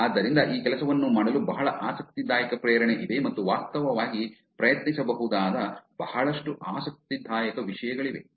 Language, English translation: Kannada, So there's very interesting motivation for doing this work and there's a lot of interesting things one could actually try out